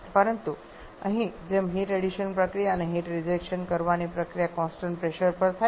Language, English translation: Gujarati, But as here the heat addition processes and heat reaction process at constant pressure